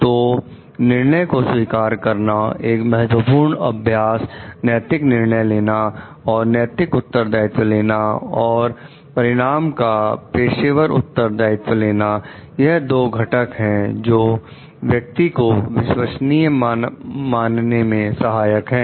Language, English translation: Hindi, So, owning up the decision so that is important exercising the moral judgement and taking moral responsibility and professional responsibility of the outcomes are two qualifiers which are there for considering the persons as to be trustworthy